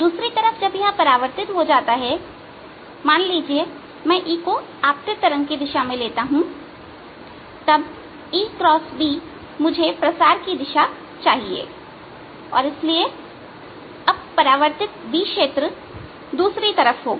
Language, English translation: Hindi, on the other hand, when it gets reflected, suppose i take e to be in the same direction as the incoming wave, then e cross b should give me the direction of propagation and therefore now the reflected be filled is going to be the other way